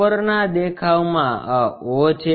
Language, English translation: Gujarati, In the top view this is the o